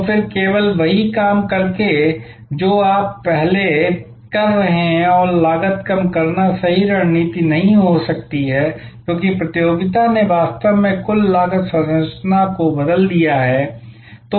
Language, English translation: Hindi, So, then just by doing the same thing that you have being doing earlier and reducing cost may not be the right strategy, because the competition has actually change the total cost structure